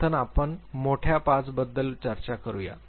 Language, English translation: Marathi, Let us first talk about big 5